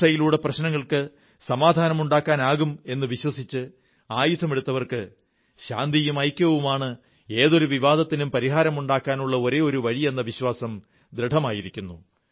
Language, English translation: Malayalam, Those who had picked up weapons thinking that violence could solve problems, now firmly believe that the only way to solve any dispute is peace and togetherness